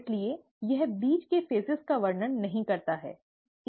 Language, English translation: Hindi, Therefore it does not describe the phases in between, okay